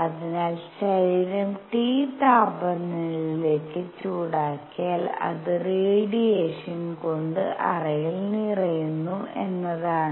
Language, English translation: Malayalam, So, what is seen is that if the body is heated to a temperature T, it fills the cavity with radiation